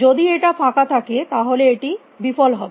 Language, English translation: Bengali, If it is empty then it will turn failure